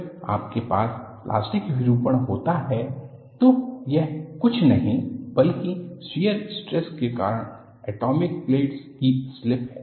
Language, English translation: Hindi, When you have plastic deformation, it is nothing, but slip of atomic planes due to shear stress